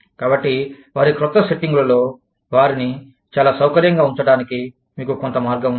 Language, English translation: Telugu, So, you have some way for them to, become very comfortable, in their new settings